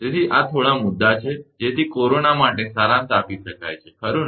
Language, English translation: Gujarati, So, these are few points can be summarized for corona right